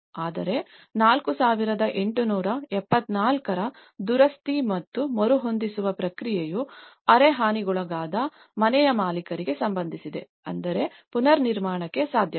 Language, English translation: Kannada, Whereas, the repair and retrofitting process of 4874 which is about owner of semi damaged house, which means it is possible for the reconstruction